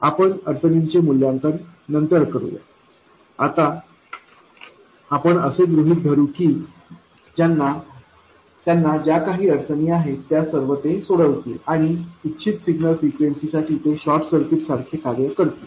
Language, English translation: Marathi, We will evaluate the constraints later but for now we will assume that they satisfy whatever constraints they have to and they do behave like short circuits for the desired signal frequencies